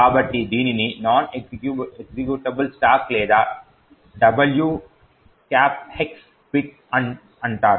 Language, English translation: Telugu, So, this is called the non executable stack or the W ^ X bit